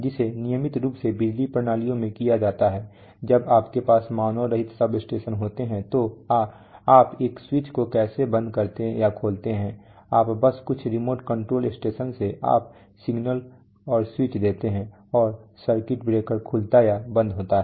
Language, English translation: Hindi, So regularly done in power systems when you have in unmanned substations so we have, so how do you close a switch or open switch you just from some remote control station you give a signal and the switch, and the circuit breaker opens or closes